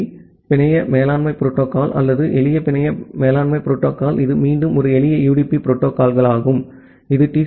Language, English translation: Tamil, SNMP, the network management protocol or the simple network management protocol it is again a simple UDP protocol which is easily cut through congestion than TCP